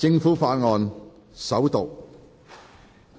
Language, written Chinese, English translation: Cantonese, 政府法案：首讀。, Government Bill First Reading